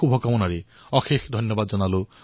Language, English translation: Assamese, Best wishes to all of you